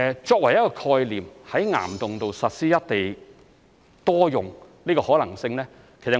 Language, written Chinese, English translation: Cantonese, 作為一個概念，在岩洞實施"一地多用"的可能性，我們會看看的。, As a concept we will look into the possibility of implementing single site multiple uses for rock caverns